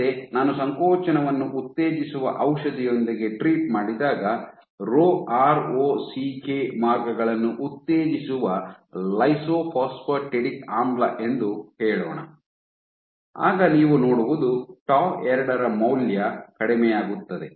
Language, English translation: Kannada, Again, when I treat with drugs which promote contractility there let us say lysophosphatidic acid which promotes the Rho ROCK pathways then what you see is your tau 2 tau value is decreased